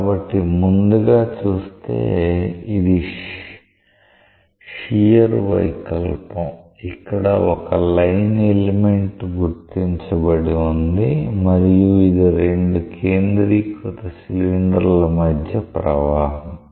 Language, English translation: Telugu, So, first you see, this is a this is a shear deformation see if there is a line element which is marked and this is a flow between two concentric cylinders